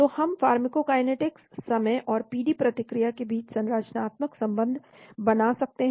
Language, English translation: Hindi, So we can have structure relationship between pharmacokinetics, time and PD response